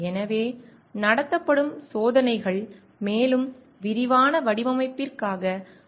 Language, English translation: Tamil, So, the experimental tests that are conducted serve as a basis for more detailed design